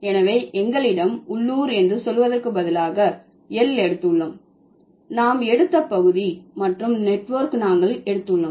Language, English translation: Tamil, So, instead of saying local, we have taken L, area, we have taken A and network we have taken N